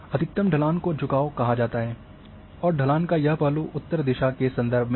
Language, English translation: Hindi, Gradient maximum slope is called gradient and then the aspect the direction of a slope with reference to north